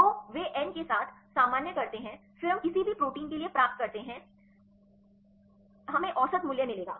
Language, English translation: Hindi, So, they normalize with n then we get the for any protein I we will get the average value